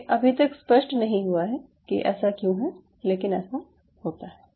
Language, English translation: Hindi, it is still not clear why is it so, but such things does happen